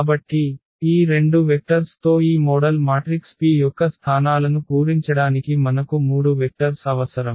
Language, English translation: Telugu, So, with these 2 vectors because we need 3 vectors to fill the positions of this model matrix P